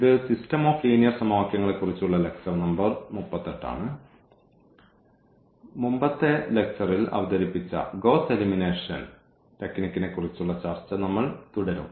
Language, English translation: Malayalam, So, this is lecture number 38, on System of Linear Equations and we will continue our discussion on this Gauss Elimination technique which was introduced in previous lecture